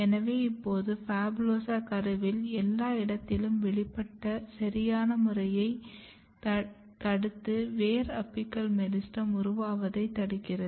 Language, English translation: Tamil, Now, you can see the PHABULOSA is expressed everywhere in the embryo and that is disturbing the pattern that is not allowing a proper root apical meristem to take place